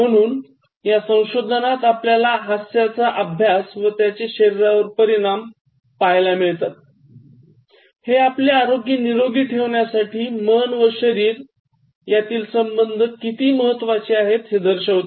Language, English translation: Marathi, So, which indicates the study of laughter and its effects on the body, what it indicates is actually the kind of connection between mind and body in terms of maintaining health